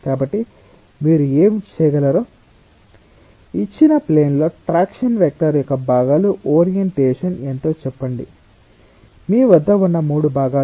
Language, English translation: Telugu, so what you can do, you are having components of the traction vector on a given plane, say with orientation n, three components you have